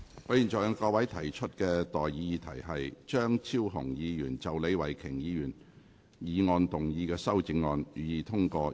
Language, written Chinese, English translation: Cantonese, 我現在向各位提出的待議議題是：張超雄議員就李慧琼議員議案動議的修正案，予以通過。, I now propose the question to you and that is That the amendment moved by Dr Fernando CHEUNG to Ms Starry LEEs motion be passed